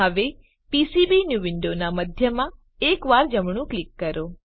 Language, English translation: Gujarati, Now right click once in the centre of the PCBnew window